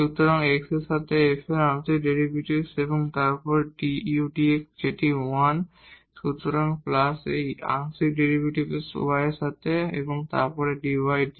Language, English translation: Bengali, So, the partial derivative of f with respect to x and then dx over dx that is a 1; so, plus this partial derivative with respect to y and then dy over dx